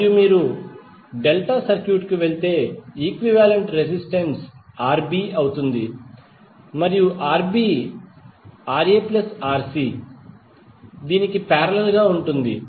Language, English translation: Telugu, And if you go to the delta circuit, the equivalent resistance would be Rb and Rb will have parallel of Rc plus Ra